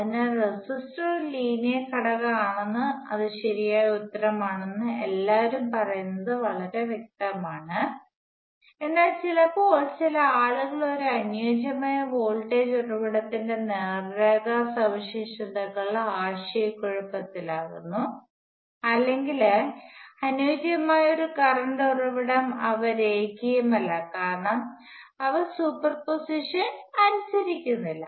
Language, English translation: Malayalam, So, it is pretty obvious everybody says that resistor is a linear element and that is a correct answer, but sometimes some peoples get confused by straight line characteristics of an ideal voltage source or an ideal current source they are not linear, because they do not obey superposition